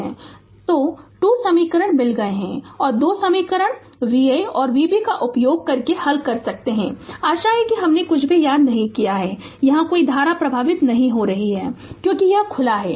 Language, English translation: Hindi, So, 2 equations we got and you can solve using 2 equation V a and V b; hope I have not missed anything and there is no current flowing here because this is open